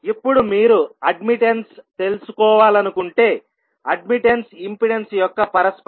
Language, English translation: Telugu, Now, if you want to find out the admittance, admittance would be the reciprocal of the impedance